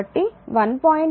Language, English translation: Telugu, So, and 1